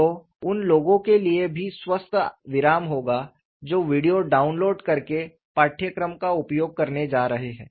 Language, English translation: Hindi, So, there would be healthy pauses even for the people who are going to use the course by downloading the video